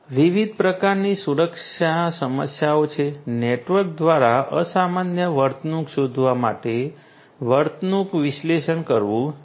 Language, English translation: Gujarati, There are different types of security issues; behavioral analytics for detecting abnormal behavior by the network should be done